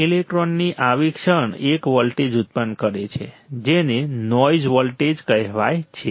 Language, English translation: Gujarati, Such a moment of the free electrons generates a voltage called noise voltage all right